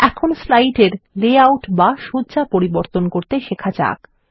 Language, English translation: Bengali, Let us learn to change the layout of the slide What are Layouts